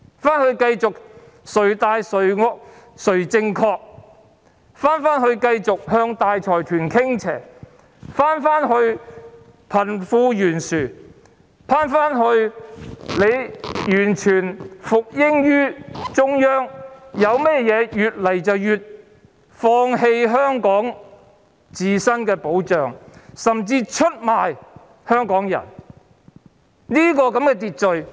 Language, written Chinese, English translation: Cantonese, 是回到繼續"誰大誰惡誰正確"，政府向大財團傾斜，貧富懸殊嚴重，政府完全服膺於中央，越來越放棄香港自身的保障，甚至出賣香港人的一種秩序。, You want to return to the old order . What order is it? . You are returning to the order where the high - handed people with more authority are always correct the Government is lopsided towards the consortia the wealth gap is serious while the Government is fully obedient to the Central Government gradually giving up the ability of Hong Kong to protect itself and even betraying Hong Kong people